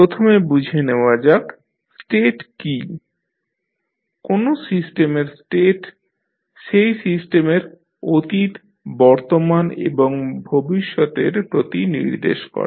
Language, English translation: Bengali, Because, first let us understand what is the state, state of a system refers to the past and present and future conditions of the system